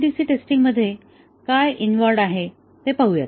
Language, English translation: Marathi, Let us look at what is involved in MCDC testing